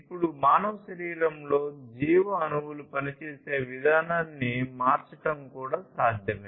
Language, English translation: Telugu, Now, it is also possible to manipulate the way the biomolecules within a human body they operate